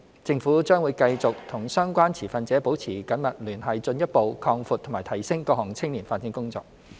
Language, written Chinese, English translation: Cantonese, 政府將會繼續與相關持份者保持緊密聯繫，進一步擴闊及提升各項青年發展工作。, The Government will continue to maintain close liaison with the relevant stakeholders to further expand and enhance our youth development efforts